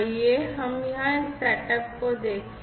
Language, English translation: Hindi, Over here let us look at